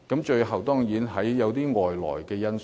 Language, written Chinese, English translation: Cantonese, 最後當然包括外來因素。, Finally external factors should certainly be included